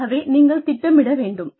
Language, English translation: Tamil, So, you need to plan